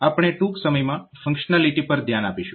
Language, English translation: Gujarati, So, we will look into the functionality shortly